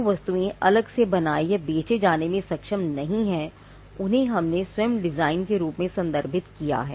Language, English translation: Hindi, Articles not capable of being made or sold separately, what we measured referred as the design itself